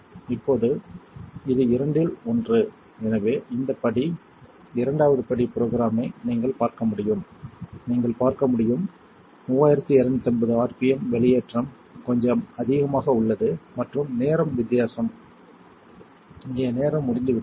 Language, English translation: Tamil, Now it is one out of two so this step is programming the second step as you can see is 3250 rpm the execration is a little higher and the time is difference the time is over here